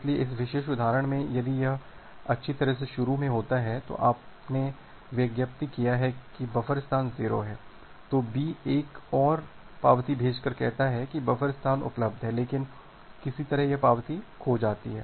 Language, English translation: Hindi, So, in this particular example, if it happens that well initially, you have advertised that the buffer space is 0, then B sends another acknowledgement saying that the buffer space is available, but somehow this acknowledgement got lost